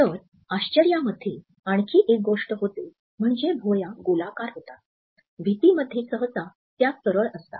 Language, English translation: Marathi, So, in surprise another thing to notice is that the eyebrows are rounded, unlike in fear when they are usually straight